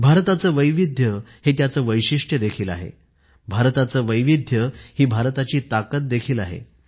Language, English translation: Marathi, India's diversity is its unique characteristic, and India's diversity is also its strength